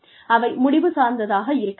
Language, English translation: Tamil, And, they should be results oriented